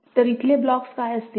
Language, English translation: Marathi, So, what will be the blocks here